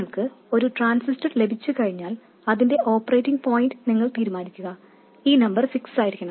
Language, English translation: Malayalam, Once you have a transistor and you decide its operating point, this number is fixed